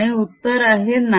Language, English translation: Marathi, and the answer is no